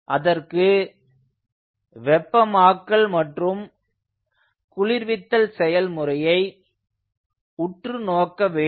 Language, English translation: Tamil, so for that we have to look into the heating and cooling process of the cycle